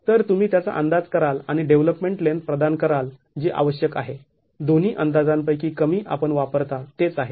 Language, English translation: Marathi, So, you would make that estimate and provide the development length that is required, the lesser of the two estimates as what you would use